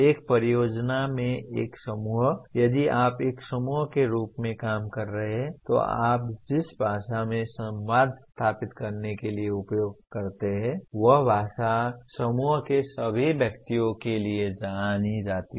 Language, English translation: Hindi, A group of, in a project if you are working as a group, then the language the acronyms that you use for communicating they are known to all the persons in the group